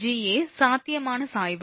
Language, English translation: Tamil, Ga potential gradient